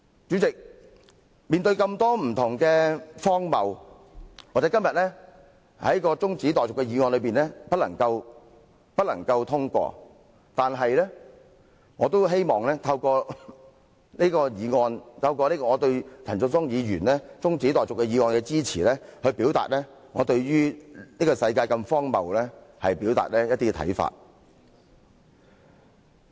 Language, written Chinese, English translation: Cantonese, 主席，面對這麼多不同的荒謬，今天由陳淑莊議員提出的中止待續議案或許無法獲得通過，但我希望透過這項議案，以及我對這項議案的支持，表達我對這個世界如此荒謬的一些看法。, President given so many different absurdities it is perhaps impossible for the adjournment motion moved by Ms Tanya CHAN today to be passed . Still I hope that through this motion and my support for this motion I can express my views on such absurdities in this world